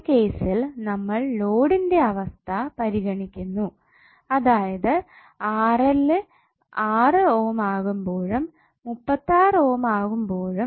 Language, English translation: Malayalam, So for this particular case we are considering two different loading conditions where RL is 6 ohm and 36 ohm